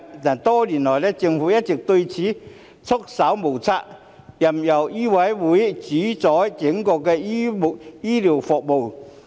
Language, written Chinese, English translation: Cantonese, 但多年來，政府對此一直束手無策，任由醫委會主宰整個公營醫療服務。, Yet over the years the Government has been at its wits end allowing MCHK to control the entire public healthcare system